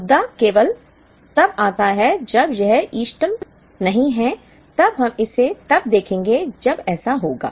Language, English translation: Hindi, The issue comes only when it is not optimal, then we will look at it as an when it happens